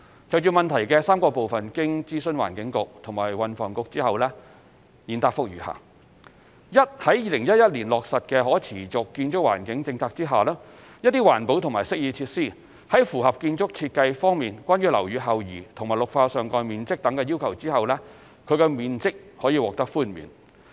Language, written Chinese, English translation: Cantonese, 就質詢的3個部分，經諮詢環境局及運輸及房屋局後，現答覆如下：一在2011年落實的可持續建築環境的政策下，一些環保及適意設施，在符合建築設計方面關於樓宇後移和綠化上蓋面積等的要求後，其面積可獲寬免。, Having consulted the Environment Bureau and the Transport and Housing Bureau THB my reply to the three parts of the question is as follows 1 Under the SBDG policy introduced in 2011 GFA concessions may be granted for certain green and amenity features which have fulfilled the building design requirements for building setback site coverage of greenery etc